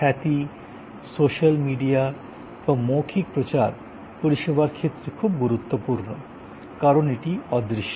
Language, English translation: Bengali, Reputation, the whole aspect of social media and word of mouth, very important for service, because it is intangible